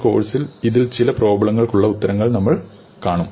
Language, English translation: Malayalam, And we will see answers to some of these problems in this course